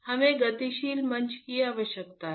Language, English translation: Hindi, We require dynamic platform